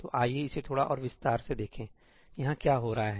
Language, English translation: Hindi, So, let us look at this in a little more detail; what is happening over here